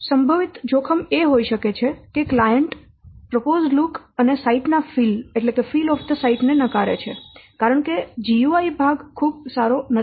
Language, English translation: Gujarati, The possible risks could be like the client rejects the proposed look and proposed look and fill up the site because the UI part is not very good